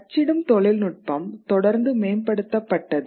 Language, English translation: Tamil, Since then printing technology has constantly improved